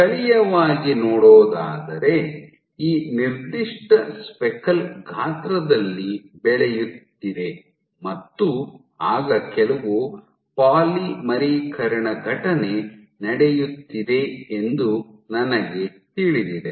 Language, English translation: Kannada, So, if locally at let us say if this particular speckle is growing in size then I know other there is some polymerization event going on